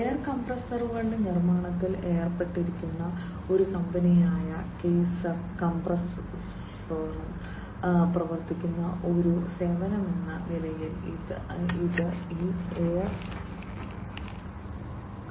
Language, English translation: Malayalam, This is this air as a service, which is being worked upon by Kaeser Kompressoren, which is a company which is into the manufacturing of air compressors